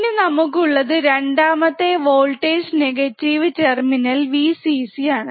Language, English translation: Malayalam, V plus then we have second negative supply voltage terminal minus Vcc which is this one